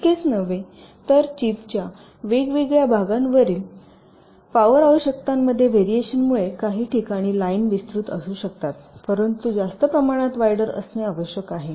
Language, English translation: Marathi, not only that, because of variations in power requirements in different parts of the chip, in some places the lines may be wider